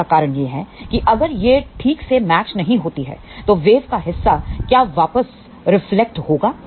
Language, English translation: Hindi, The reason for that is if it is not properly matched, then what will happen part of the wave will get reflected back